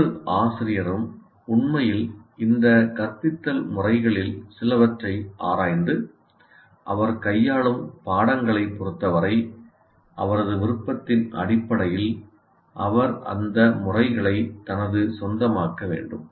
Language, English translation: Tamil, Now what one should say every teacher should actually explore some of these instruction methods and based on his preference with regard to the subjects is handling, he should make those methods his own